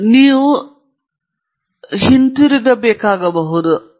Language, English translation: Kannada, That means, sometimes you may have to go back